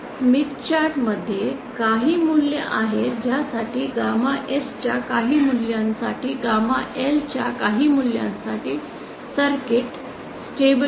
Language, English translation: Marathi, There are some value within the smith chart for which circuit is stable both for some values of gamma S and some values of gamma L